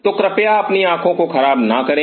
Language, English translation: Hindi, So, do not damage your eyes please